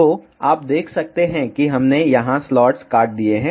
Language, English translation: Hindi, So, you can see we have cut the slots here